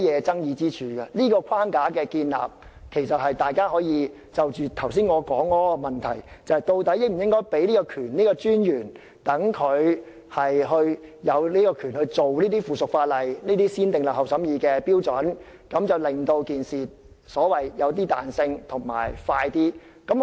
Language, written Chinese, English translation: Cantonese, 就建立這個框架而言，其實大家可以思考我剛才提出的問題，即究竟應否賦權金融管理專員處理這些附屬法例，按照"先訂立後審議"的程序，令處理過程更具彈性及更有效率。, Regarding the establishment of this framework Members may think about the issues I mentioned just now that is whether the MA should be empowered to handle the subsidiary legislation concerned through the negative vetting procedure for the purpose of maintaining flexibility and enhancing efficiency